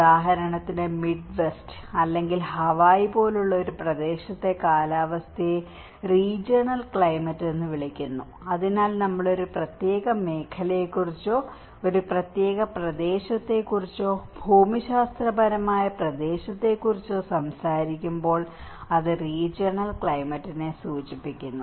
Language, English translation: Malayalam, For instance, the climate in the one area like the Midwest or Hawaii is called a regional climate so, when we talk about a particular zone or a particular area, geographical region, it is refers to the regional climate